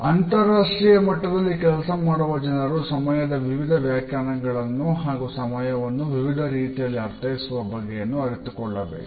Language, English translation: Kannada, People who work at an international level must know what are the different definitions of time and how do people relate to it differently